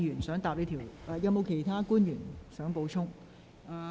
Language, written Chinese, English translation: Cantonese, 是否有其他官員作補充？, Does any other public officer have anything to add?